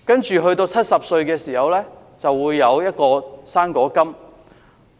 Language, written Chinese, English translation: Cantonese, 長者到了70歲，便會有"生果金"。, Elderly people reaching the age of 70 are entitled to receive fruit grant